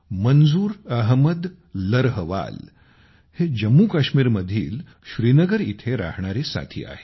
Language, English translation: Marathi, Manzoor Ahmed Larhwal is a friend from Srinagar, Jammu and Kashmir